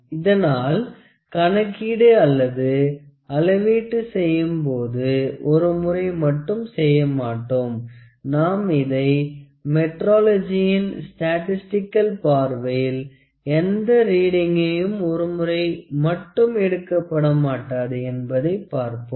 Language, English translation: Tamil, So, actually when we do the calculations when we do the measurements, it is not done only one, as we will discuss statistical aspects of metrology no reading is taken only once